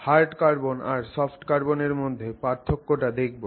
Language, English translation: Bengali, We will also look at how we can distinguish between what is known as hard carbon and something else that is known as soft carbon